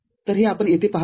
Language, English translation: Marathi, So, this is what you see over here